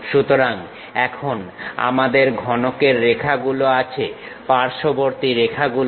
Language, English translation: Bengali, So, now we have the cuboid lines, the sides edges